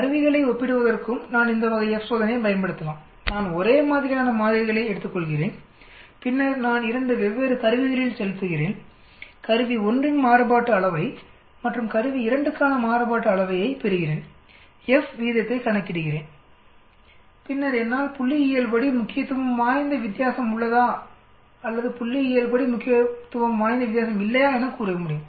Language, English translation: Tamil, I can use this type of a F test for comparing instruments also, I take the same set of samples and then I inject in 2 different instruments and I can get variance for instrument 1, variance for instrument 2, calculate F ratio and then I can tell, is there a statistically significant difference or there is no statistical significant difference